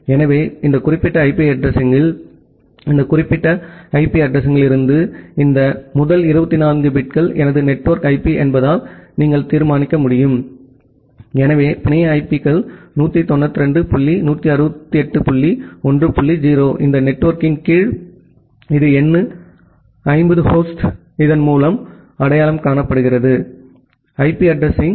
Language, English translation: Tamil, So, in this particular IP address, from this particular IP address, you can determine that because this first 24 bits are my network IP so the network IPs 192 dot 168 dot 1 dot 0 under this network it is number 50 host is identified by this IP address